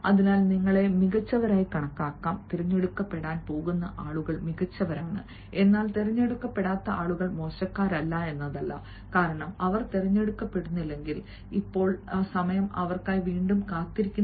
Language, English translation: Malayalam, and excellent are the people who are going to be selected, but those people also are not bad who do not get selected, because if they do not get selected now, the time is waiting for them once again